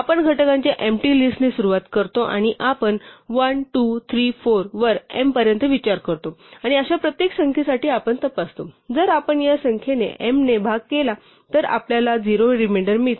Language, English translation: Marathi, So, we start with empty list of factors and we consider it on 1, 2, 3, 4 up to m and for each such number we check, whether if we divide m by this number we get a reminder of 0 we get a reminder of 0 we add it to the list